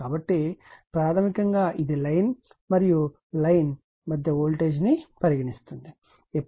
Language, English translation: Telugu, So, basically it is sees the line to line voltage